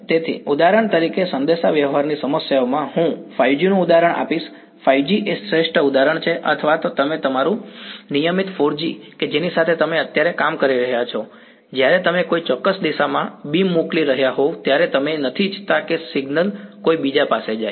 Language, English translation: Gujarati, So, in communication problems for example, 5G I will give an example of 5G is the best example or even your regular 4G that you are working with right now; when you are sending a beam to a particular direction you do not want that signal to go to someone else